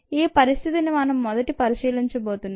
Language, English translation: Telugu, that is the condition that we are looking at first